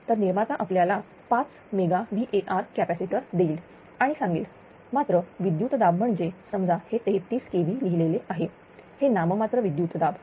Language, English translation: Marathi, So, manufacturer will give you say 5 megawatt capacitor right and they will say nominal voltage nominal voltage means suppose if it is written say 33 kv right it is a nominal voltage